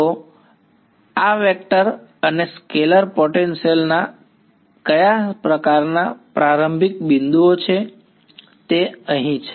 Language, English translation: Gujarati, So, what sort of the starting points of this vector and scalar potentials is this equation over here ok